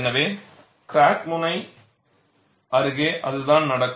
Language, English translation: Tamil, So, that is what happens near the crack tip